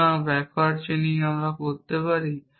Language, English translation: Bengali, So, can we do backward chaining